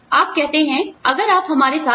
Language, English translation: Hindi, You say, okay, if you are with us